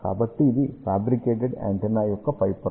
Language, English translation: Telugu, So, this is the top layer of the fabricated antenna